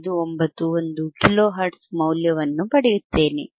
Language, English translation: Kannada, 591 kilo hertz,